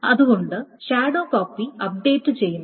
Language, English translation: Malayalam, This is a shadow copy is being made